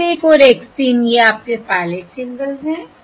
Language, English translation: Hindi, L equal to 1, 3, These are pilot symbols